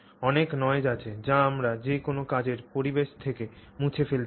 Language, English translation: Bengali, So there is a lot of noise which we want to eliminate from any work environment